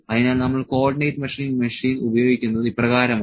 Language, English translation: Malayalam, So, this is how we use the Co ordinate Measuring Machine